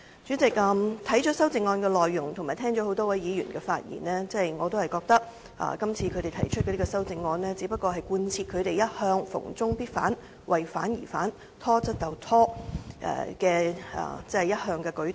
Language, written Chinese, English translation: Cantonese, 主席，讀了修正案的內容及聽了多位議員的發言後，我覺得他們今次提出修正案，只是貫徹他們一向"逢中必反"、"為反而反"、"拖得就拖"的態度。, Chairman after reading the amendments and listening to the speeches of a number of Members I find their amendments consistent with their usual attitude of opposing China on every front opposing for the sake of opposition and stalling things as much as they can